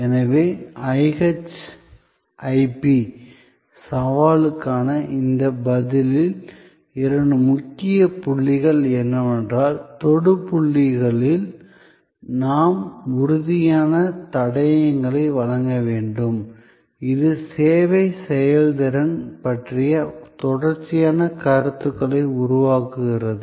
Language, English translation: Tamil, So, in this response to the IHIP challenge, the two key points are that we have to provide tangible clues at the touch points, which create a series of perceptions about the service performance